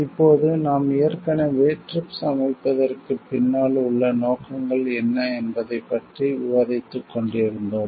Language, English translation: Tamil, Now, as we were already discussing what are the objectives behind formulation of TRIPS